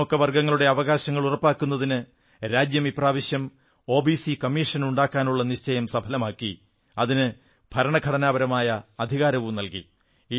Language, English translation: Malayalam, The country fulfilled its resolve this time to make an OBC Commission and also granted it Constitutional powers